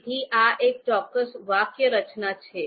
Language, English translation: Gujarati, So there is a particular syntax